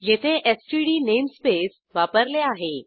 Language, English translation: Marathi, Here we have used std namespace